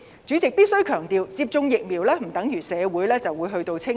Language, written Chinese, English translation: Cantonese, 主席，我必須強調，接種疫苗不等於社會便會"清零"。, President I need to emphasize that the injection of vaccines does not equal to the achievement of zero infection